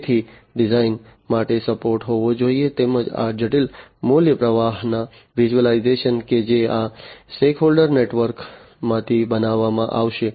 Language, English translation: Gujarati, So, there should be support for the design as well as the visualization of this complex value stream that will be created from this stakeholder network